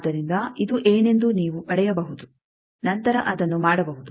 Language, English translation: Kannada, So, you can get what is this then do it